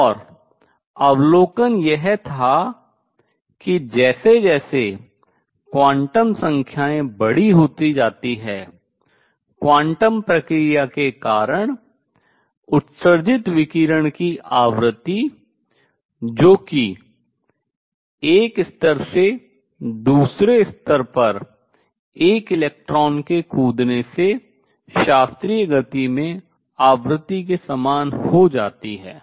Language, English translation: Hindi, So, this is well known and what the observation was that as quantum numbers become large the frequency of radiation emitted due to quantum process that is by jumping of an electron from one level to the other becomes the same as the frequency in classical motion let us see that